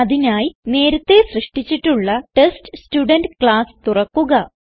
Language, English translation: Malayalam, For that, let us open the TestStudent class which we had already created